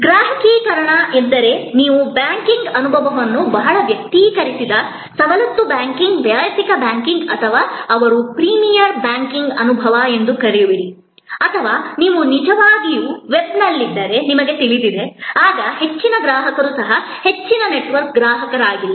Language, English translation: Kannada, Customization that means, you know you give the banking experience which is very personalized, privilege banking personal banking or what they call premier banking experience or if you are actually on the web then even a customer who is may not be a high network customer